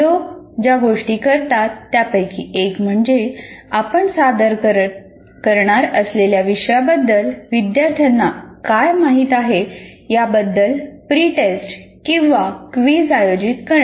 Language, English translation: Marathi, And if you consider, for example, one of the things that people do is conduct a pre test or a quiz to find out what the students know about the topic that we are going to present